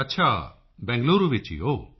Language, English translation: Punjabi, Okay, in Bengaluru